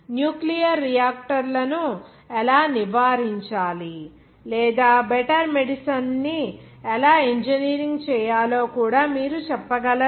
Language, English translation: Telugu, How to prevent nuclear reactors or even you can say that how to engineer better medicine